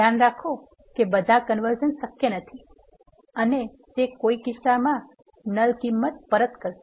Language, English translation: Gujarati, Note that all the coercions are not possible and it attempted will be returning a null value